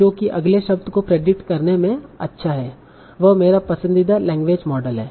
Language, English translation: Hindi, So whichever one is good at creating the next word is my preferable language models